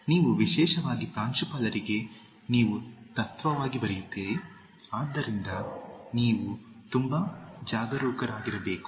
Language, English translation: Kannada, Okay, you especially for principal you write as principle, so you have to be very careful